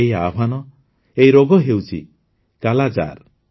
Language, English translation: Odia, This challenge, this disease is 'Kala Azar'